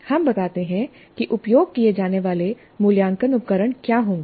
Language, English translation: Hindi, We state what will be the assessment tools to be used